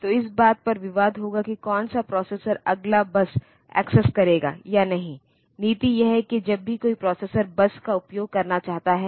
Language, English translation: Hindi, So, there will be contention like, which processor will be accessing the bus next or so, the policy is that whenever a processor wants to use the bus